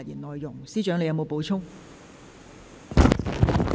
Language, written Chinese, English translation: Cantonese, 律政司司長，你有否補充？, Secretary for Justice do you have anything to add?